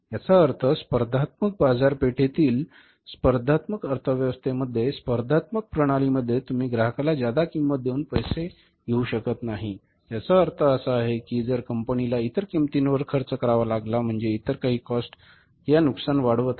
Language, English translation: Marathi, So that is one thing it means in a competitive economy in the competitive market in the competitive system you cannot pass on the pass on the extra cost to the customer it means if the firm has to bear the cost the firm's losses will start mounting